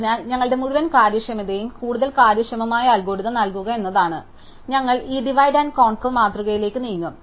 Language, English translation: Malayalam, So, our goal is to give a more efficient algorithm, so we will move to this divide and conquer paradigm